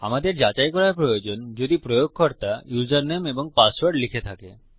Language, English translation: Bengali, We need to check if the users have entered the username and the password